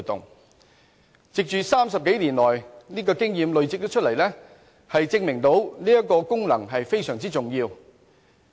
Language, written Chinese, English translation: Cantonese, 香港累積了30多年這方面的經驗，證明這個功能是非常重要的。, With more than 30 years of experience Hong Kong is evidently serving a very important function in this regard